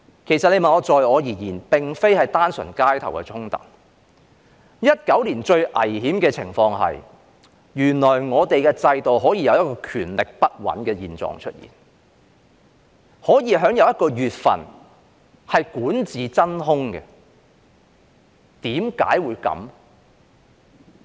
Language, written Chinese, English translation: Cantonese, 其實在我而言，那並非是單純的街頭衝突 ，2019 年最危險的情況是，原來在我們的制度下，可以有權力不穩的狀況出現，可以有一個月份是管治真空。, Actually in my view those were not simply clashes in the street . The greatest danger in 2019 was that it turned out that under our system there could be instability of power and a vacuum in governance for a whole month